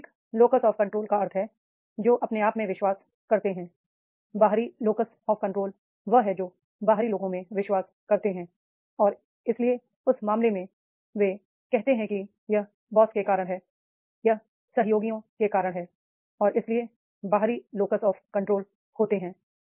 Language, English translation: Hindi, Internal locus of control means those who believe in themselves, external locus of control those who believes in outside and therefore in that case that they say about that it is because of the boss, it is because of the colleagues and like this, the external locus of control are there